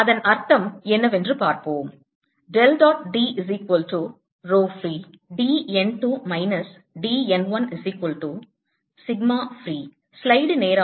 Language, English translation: Tamil, let us see that what it means